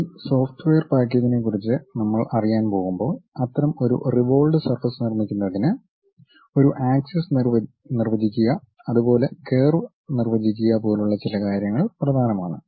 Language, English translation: Malayalam, When we are going to learn about this software package some of the things like defining an axis defining curve is important to construct such kind of revolved surfaces